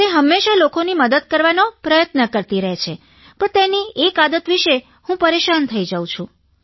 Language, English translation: Gujarati, She always tries to help others, but one habit of hers amazes me